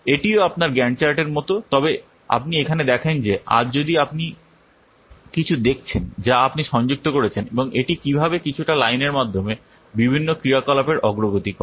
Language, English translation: Bengali, Similar to your Ghand chart, but you see here, if this is today, you see some what you are connecting these, what activities, the progress of different activities through some what lines